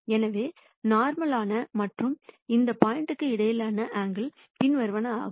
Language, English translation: Tamil, So, the angle between the normal and that point is going to be the following